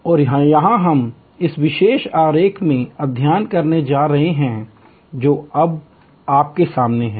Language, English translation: Hindi, And this is what we are going to study in this particular diagram, which is now in front of you